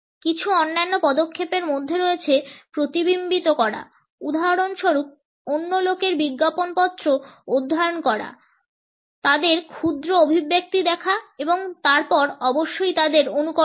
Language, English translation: Bengali, Certain other steps include mirroring for example, is studying the poster of other people, looking at the micro expressions of other people and then certainly mimicking them